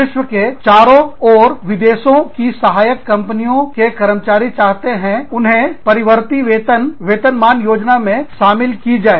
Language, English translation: Hindi, Employees in foreign subsidiaries, around the globe, want variable compensation schemes, to include them